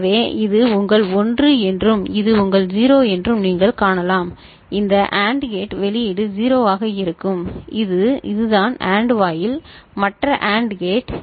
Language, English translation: Tamil, So you can see that this is your 1 and this is your 0 so, this AND gate output will be 0 and this is this AND gate, the other AND gate it is taken from here this inverter output